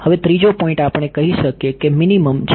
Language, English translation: Gujarati, Now, the third point we can say is that minimum is